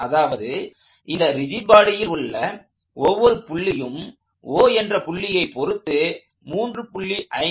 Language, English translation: Tamil, So, I can be any point on the rigid body, let say O, every point on the rigid body is rotating about O at 3